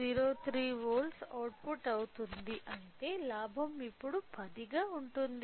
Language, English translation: Telugu, 3 volt which means the gain is now 10